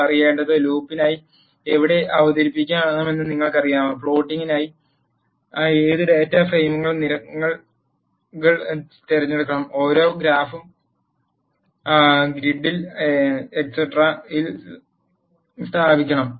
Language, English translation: Malayalam, What you have to know, is you have know where to introduce for loop, which columns of data frame to be selected for plotting, and you have to also position each graph in the grid etcetera